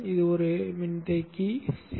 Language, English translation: Tamil, This is a capacitor C